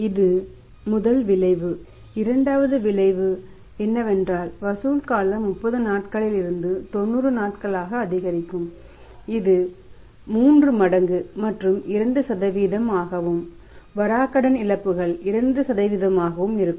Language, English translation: Tamil, This the first effect, second effect here is that collection period will be increasing from 30 days to 90 days that will be going to by 3 times and 2% and the bad debt losses will be 2%